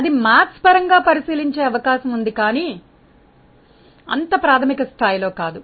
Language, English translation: Telugu, It is possible to look into that mathematically, but not in such an elementary level